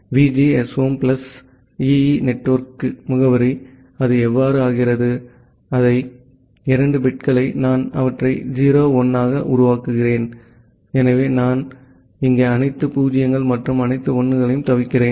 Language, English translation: Tamil, And the VGSOM plus EE network address, it becomes so, these 2 bits I am making them as 0 1, so I am avoiding all 0s and all 1s here